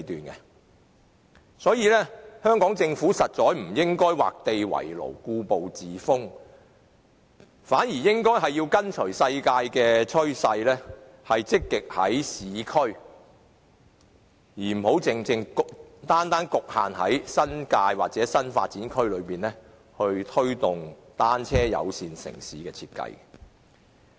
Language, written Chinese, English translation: Cantonese, 因此，香港政府實在不應該畫地為牢、故步自封，而是應該跟隨世界的趨勢，積極在市區而非局限於新界或新發展區，推動單車友善城市的設計。, Hence the Hong Kong Government should really not confine itself and stick to the rut . Instead it should follow the world trend and proactively promote the design of a bicycle - friendly city in the urban areas rather than limiting it to the New Territories or new development areas